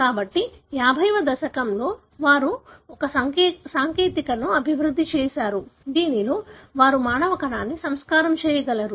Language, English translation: Telugu, So in 50Õs they developed a technique, wherein they are able to culture the human cell